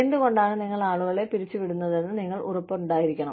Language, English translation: Malayalam, you need to be sure of, why you are laying people off